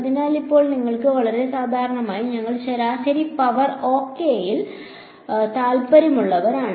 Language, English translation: Malayalam, So, now, you have a very and usually we are interested in average power ok